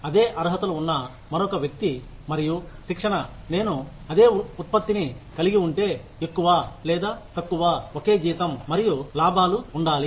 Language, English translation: Telugu, Another person with the same qualifications and training, as me, having the same output, should have more or less the same salary and benefits